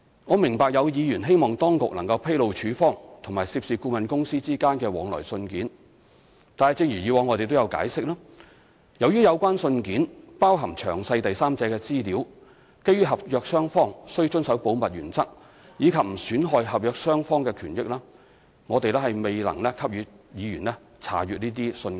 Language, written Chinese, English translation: Cantonese, 我明白有議員希望當局能披露署方及涉事顧問公司之間的往來信件，但正如以往我們所解釋，由於有關信件包含詳細第三者資料，基於合約雙方須遵守保密原則，以及不損害合約雙方的權益，我們未能給予議員這些信件。, I understand some Members hope that the authorities may disclose the correspondence between CEDD and the consultant involved . However as we explained previously since the correspondence concerned contains detailed third party information we are unable to allow Members to access such correspondence in view that both contracting parties have to observe the principle of confidentiality and without prejudice to the rights of both sides